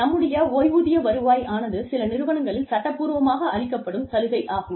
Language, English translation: Tamil, Our retirement income is a legally required benefit, in some organizations